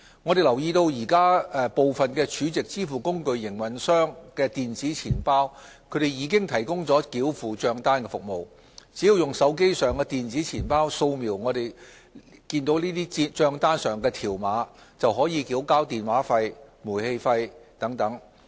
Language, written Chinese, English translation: Cantonese, 我們留意到現時部分儲值支付工具營運商的電子錢包已提供繳付帳單服務，只要用手機上的電子錢包掃描帳單上的條碼，便可以繳交電話費、煤氣費等。, We note that the e - wallets offered by some SVF operators are providing bill payment service . Users can scan the barcodes on their bills and make payments through the e - wallets on their mobile phones